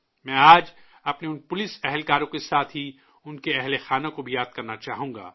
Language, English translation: Urdu, Today I would like to remember these policemen along with their families